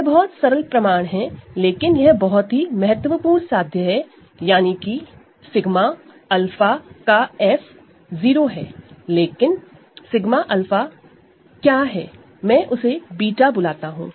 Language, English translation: Hindi, This is a very simple proof, but it is an extremely important proposition, this means f of sigma alpha is 0, but what is sigma alpha, I have called it beta